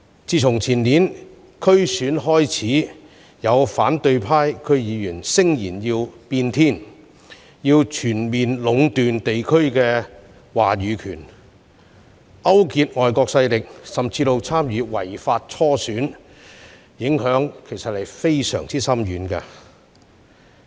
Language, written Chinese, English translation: Cantonese, 自前年區議會選舉以來，有反對派區議員聲言要"變天"，要全面壟斷地區的話語權，勾結外國勢力甚至參與違法初選，造成非常深遠的影響。, After the 2019 District Council DC Election some opposition DC members vowed to rock the boat and have all the say in district affairs . They also colluded with foreign powers and even participated in the illegal primaries which has brought profound impacts